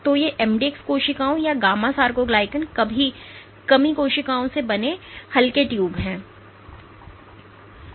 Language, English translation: Hindi, So, these are mild tubes formed from mdx cells or gamma sarcoglycan deficient cells